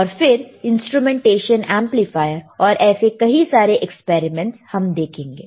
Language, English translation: Hindi, Or we have to use the instrumentation amplifier, and lot of other experiments